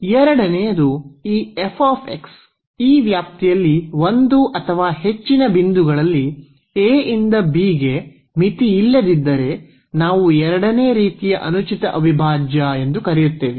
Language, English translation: Kannada, The second, if this f x is unbounded at one or more points in this range a to b then we call improper integral of second kind